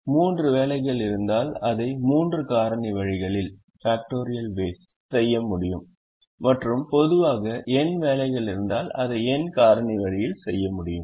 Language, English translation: Tamil, so if there are three jobs, it can be done in three factorial ways, and if there are n jobs in general, it can be done in n factorial ways